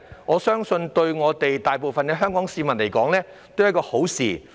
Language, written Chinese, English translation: Cantonese, 我相信這對大部分香港市民而言都是好事。, I believe this will be beneficial to most Hong Kong people